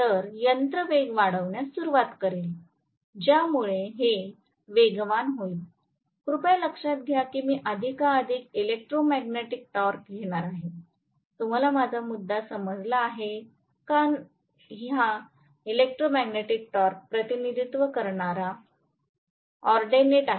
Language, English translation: Marathi, So, the machine will start accelerating, as it accelerates please note that I am going to get more and more electromagnetic torque, are you getting my point this is the ordinate which represents the electromagnetic torque